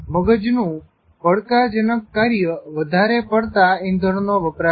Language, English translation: Gujarati, The more challenging brain task, the more fuel it consumes